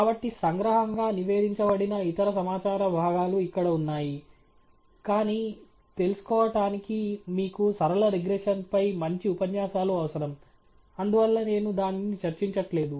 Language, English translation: Telugu, So, there are a bunch of other pieces of information here that are reported by summary, but to go over that requires a good set of lectures on linear regression, and therefore, I am avoiding that